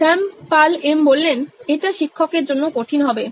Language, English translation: Bengali, Shyam Paul M: That will be difficult for the teacher